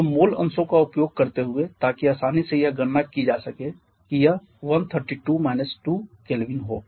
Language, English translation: Hindi, Sorry, the mole fractions so using the mole fractions, so can easily calculate this to be 132